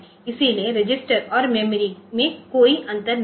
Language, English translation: Hindi, So, register and memory does not have any difference